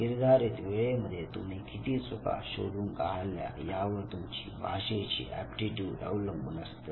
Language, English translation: Marathi, Your aptitude in a given language would be now just on the basis of how many correct responses you have given within the time frame